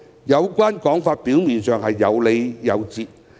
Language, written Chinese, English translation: Cantonese, 這個說法表面看似有理有節。, Such a notion appears to be justified